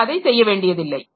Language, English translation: Tamil, I don't have to do that